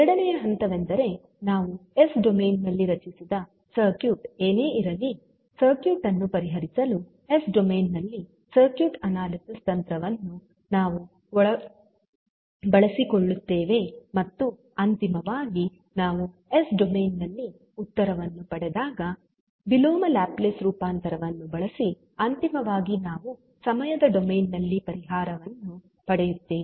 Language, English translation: Kannada, So, the second step will be that whatever the circuit we have formed in s domain we will utilize the circuit analysis technique to solve the circuit in s domain and finally, when we get the answer in s domain we will use inverse Laplace transform for the solution and finally we will obtain the solution in in time domain